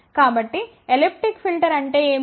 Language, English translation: Telugu, So, what is elliptic filter